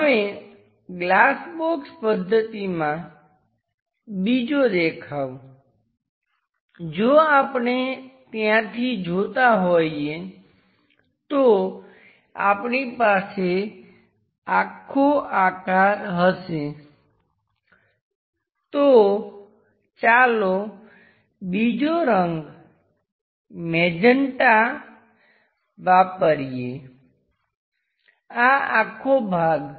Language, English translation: Gujarati, Now the other view on glass box method, if we are looking that we will have this entire shape, let us use other color perhaps magenta, this entire one